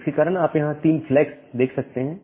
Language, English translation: Hindi, Now, here because of this you can see there are 3 flags